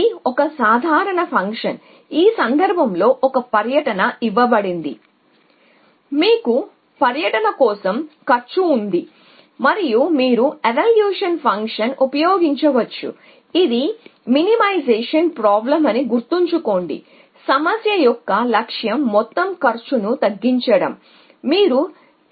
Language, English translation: Telugu, As a simple function in this case which given a 2 you can the order commutates cost an you can use valuation function keeping in mind that it is a minimization problem that you want to minimize total cost